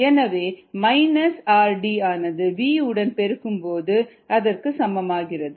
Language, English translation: Tamil, therefore, minus r d equals minus k d x v, which is what we had seen earlier